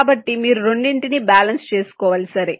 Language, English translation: Telugu, so you have to make a balance between the two